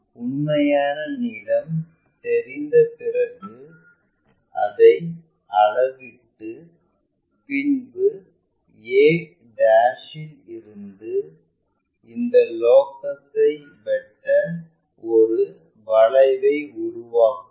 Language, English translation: Tamil, Once, we know that true length measure it from a' make an arc to cut this locus